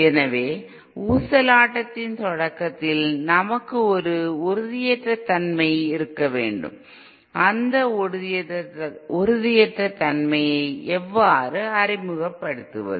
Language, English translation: Tamil, So at the start of the oscillation, we have to have an instability, how do we introduce that instability